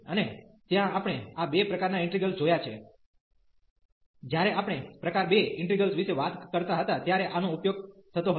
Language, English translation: Gujarati, And there we have seen these two types of integrals; this was used when we were talking about type 2 integrals